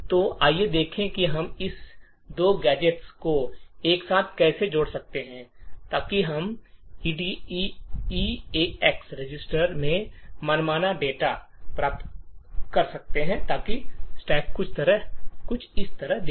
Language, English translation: Hindi, So, let us see how we can stitch these two gadgets together so that we can get arbitrary data into the eax register so the stack would look something like this